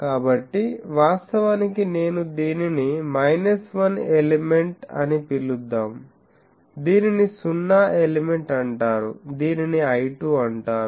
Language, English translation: Telugu, So, actually if I call that, let us say this is called minus 1 element, this is called 0 element, this is called 1 2